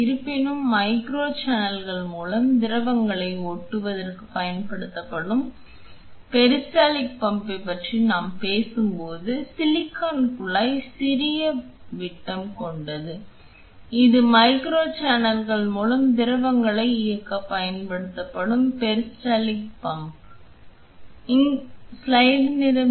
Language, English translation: Tamil, However, when we are talking about the peristaltic pump which will be used for driving fluids through micro channels, the silicon tube has smaller diameters let us get a hands on the peristaltic pump which is used to drive fluids through micro channels